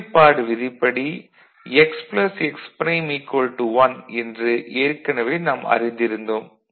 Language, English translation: Tamil, So, we already know that from the complementarity the basic complementarity, x plus x prime is equal to 1